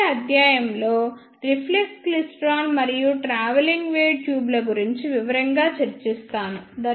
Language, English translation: Telugu, In the next lecture, I will discuss reflex klystron and travelling wave tubes in detail